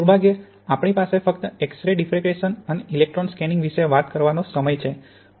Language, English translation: Gujarati, Unfortunately we only have time to talk about X ray diffraction and scanning electron microscopy here